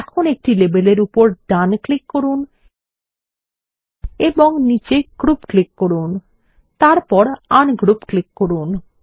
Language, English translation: Bengali, So let us right click over a label and click on Group at the bottom and click on Ungroup